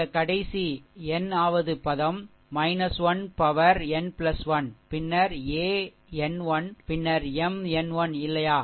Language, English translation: Tamil, Particularly look at the last term, minus 1 to the power 1 plus n into a 1 n into M 1 n